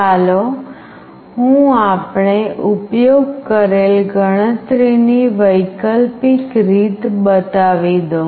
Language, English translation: Gujarati, Let me show that the alternate way of computing that we have used